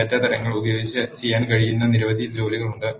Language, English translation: Malayalam, There are several task that can be done using data types